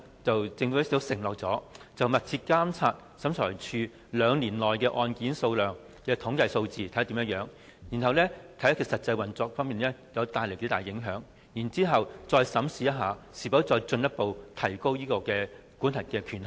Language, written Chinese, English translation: Cantonese, 政府承諾會密切監察審裁處兩年內案件的統計數字，視乎是次修訂對審裁處的實際運作所帶來的影響，再審視是否進一步提高審裁處的司法管轄權限。, The Government has promised to monitor closely the caseload of SCT in the next two years and subject to the impact of this amendment on SCTs practical operation the Government will then decide whether or not to further raise SCTs jurisdictional limit